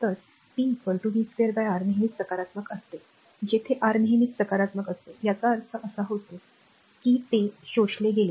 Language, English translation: Marathi, So, p is equal to v square by R always it is positive where i square R always positive; that means, it absorbed power